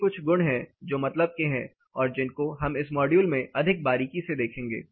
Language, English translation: Hindi, These are few properties that are of interest towards which we will be looking more closely in this particular module